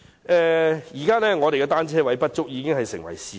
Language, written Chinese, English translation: Cantonese, 香港的單車泊位不足是事實。, The shortage of bicycle parking spaces is a fact